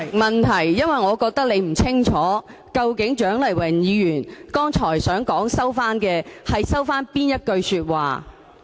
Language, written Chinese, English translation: Cantonese, 代理主席，我覺得你並不清楚蔣麗芸議員剛才表示收回的，究竟是哪一句說話。, Deputy President I think that you do not clearly know which remark Dr CHIANG Lai - wan has just indicated to withdraw